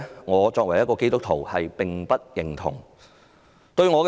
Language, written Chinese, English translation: Cantonese, 我作為基督徒，並不認同這種價值觀。, As a Christian I cannot identify with this value